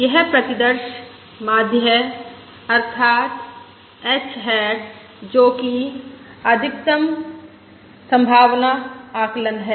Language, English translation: Hindi, that is, h hat, which is the Maximum Likelihood Estimate